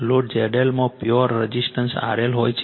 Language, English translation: Gujarati, The load Z L consists of a pure resistance R L